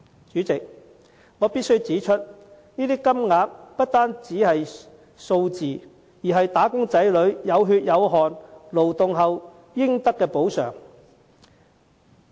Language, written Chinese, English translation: Cantonese, 主席，我必須指出，這些金額不單是數字，更是"打工仔女"有血有汗勞動後應得的補償。, President I must point out that these amounts are not just figures they are the compensation that wage earners are entitled to for their hard work